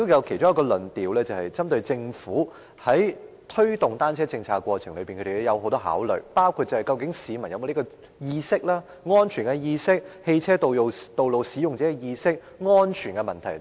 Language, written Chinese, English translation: Cantonese, 其中一個論點是針對政府在推動單車政策過程中有很多顧慮，包括市民是否有這方面的意識，如安全意識和汽車道路使用者意識等。, One of the arguments is about the overcautious attitude of the Government in promoting a bicycle policy . These include its concerns about the awareness of the public such as safety alertness and consciousness of road usage of drivers and road users